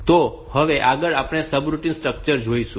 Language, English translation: Gujarati, So, next we will look into the subroutine structure